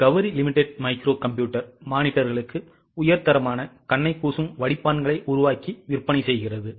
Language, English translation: Tamil, Gauri Limited makes and sales high quality glare filters for micro computer monitors